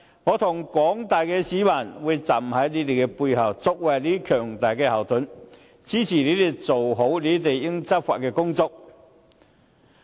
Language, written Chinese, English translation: Cantonese, 我和廣大市民會站在他們背後，作為他們的強大後盾，支持他們做好執法工作。, Both the general public and I will stand behind them and act as strong backup to support them in carrying out law enforcement properly